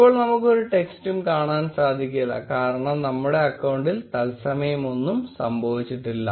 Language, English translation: Malayalam, So, we are not able to see any text that is because nothing is happening in real time in our account